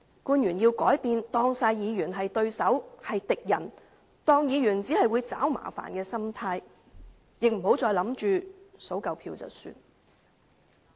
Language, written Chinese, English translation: Cantonese, 官員要改變把所有議員當作是對手、是敵人、是只會找麻煩的心態，亦不要想着數夠票便算。, The officials have to change their attitude of treating all the Members as opponents enemies and people who will only cause trouble . Neither should they think that they need not do anything once they have secured enough votes